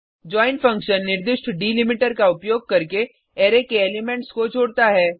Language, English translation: Hindi, join function joins the elements of an Array , using the specified delimiter